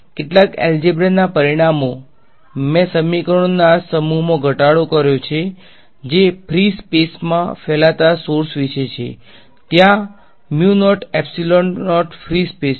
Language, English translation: Gujarati, As a result of some algebra I have reduced down to these sets of equations which are about sources radiating in free space right mu not epsilon naught is there free space